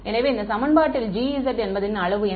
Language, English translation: Tamil, So, in this equation therefore, G S is of what size